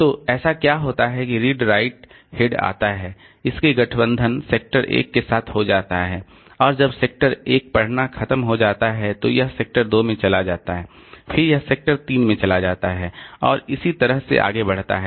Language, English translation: Hindi, So, what happens is that this read right head it comes, it gets aligned with sector one and when sector one reading is over then it goes to sector two, then it goes to sector 3 like that